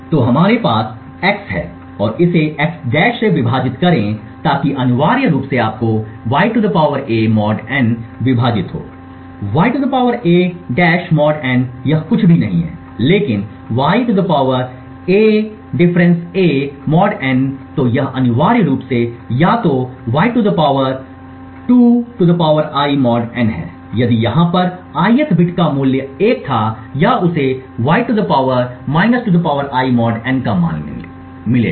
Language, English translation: Hindi, So we have x and divide it by x~ so essentially you would get (y ^ a) mod n divided by (y ^ a~) mod n this is nothing but (y ^ (a – a~)) mod n right so this is essentially either (y ^ (2 ^ I)) mod n if the ith bit over here had a value of 1 or he would get the value of (y ^ ( 2 ^ I)) mod n